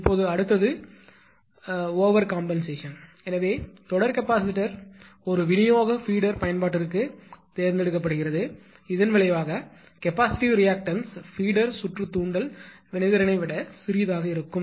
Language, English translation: Tamil, Now next is the overcompensation: So, usually usually ah the series capacitor size is elect selected for a distribution feeder application in such a way that the result and capacitive reactance is smaller than the inductive reactance of the feeder circuit